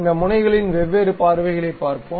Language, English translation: Tamil, Let us look at different views of this nozzle